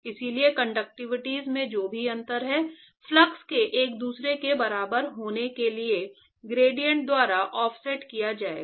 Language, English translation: Hindi, So, whatever is the difference in the conductivities will be offset by the gradient for the flux to be equal to each other